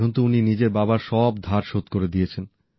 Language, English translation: Bengali, He now has repaid all the debts of his father